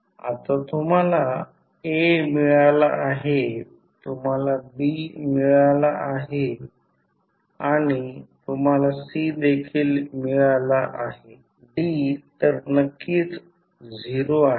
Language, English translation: Marathi, Now, you have got A, you have got B and you have got C of course D is 0